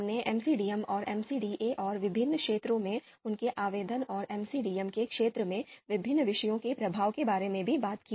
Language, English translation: Hindi, We also talked about MCDM and MCDA and their application in various fields and the influence of various disciplines on the field of MCDM